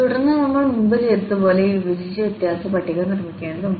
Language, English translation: Malayalam, And then we have to construct this divided difference table as we have done before